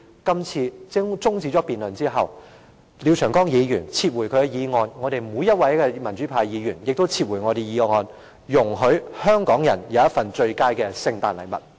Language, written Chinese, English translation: Cantonese, 我也希望廖長江議員在辯論中止後，撤回他的決議案，而民主派議員也撤回我們的決議案，給香港人一份最佳的聖誕禮物。, I also hope Mr Martin LIAO can withdraw his resolution after the adjournment of the debate . Meanwhile Members of the pro - democracy camp will also withdraw our resolutions as the best Christmas gift to the people of Hong Kong